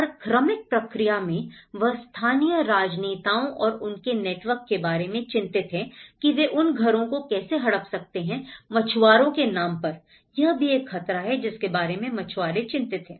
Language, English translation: Hindi, So, in gradual process, they also have worried about how the local politicians and their networks, how they can grab these houses on the name of fishermanís that is also one of the threat which even fishermen feel about